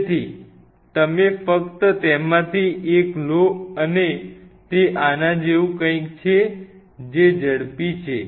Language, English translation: Gujarati, So, you just take one of them and it something like this they have a quick